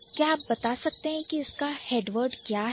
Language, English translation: Hindi, Can you tell me what is the head word here